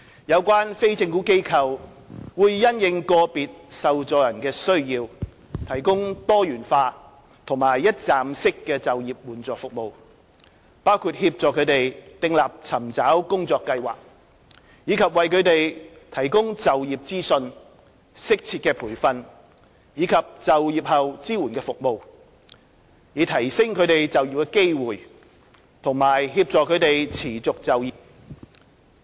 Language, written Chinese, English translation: Cantonese, 有關非政府機構會因應個別受助人的需要，提供多元化和一站式的就業援助服務，包括協助他們訂立尋找工作計劃，以及為他們提供就業資訊、適切的培訓及就業後支援服務，以提升他們就業機會及協助他們持續就業。, According to the needs of individual recipients the relevant NGOs provide multifarious and one - stop employment assistance services including assisting them in formulating job search plans and providing them with information on employment suitable training as well as post - employment support services with a view to enhancing their employability and assisting them to sustain employment